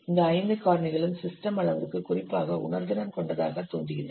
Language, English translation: Tamil, So these five factors appear to be particularly sensitive to system size